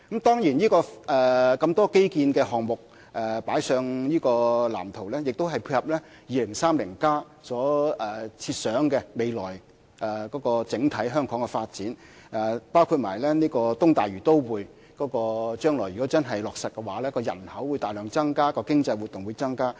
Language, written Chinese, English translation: Cantonese, 當然，有這麼多基建項目加入這個藍圖中，是配合《香港 2030+》所設想的未來香港整體發展，包括如果將來東大嶼都會的方案真的落實，該區人口會大量增加，經濟活動也會增加。, Certainly the addition of so many infrastructure projects to this blueprint is meant to tie in with the overall future development of Hong Kong envisioned in Hong Kong 2030 . The East Lantau Metropolis if actually implemented will bring about an enormous increase in population in the district as well as growth in economic activities